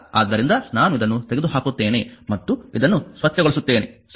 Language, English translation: Kannada, So, let me let me remove this one clean this one, right